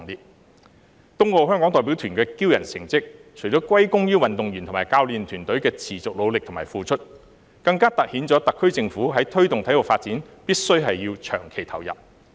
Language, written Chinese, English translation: Cantonese, 東京奧運會香港代表團的驕人成績，除了歸功於運動員和教練團隊的持續努力和付出，更突顯了特區政府在推動體育發展上必須要長期投入。, The excellent results of the Hong Kong delegation in the Tokyo Olympic Games are not only due to the continuous efforts and dedication of the athletes and coaches but also highlight the need for long - term commitment of the SAR Government in promoting sports development